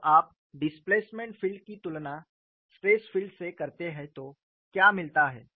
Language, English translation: Hindi, What is striking when you compare the displacement field with the stress field